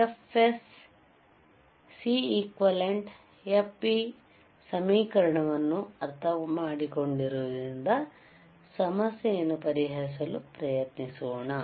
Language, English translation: Kannada, So, now, since since we kind of understand that what are the equation for f Fs, Cequivalent, Fp, let us try to solve a problem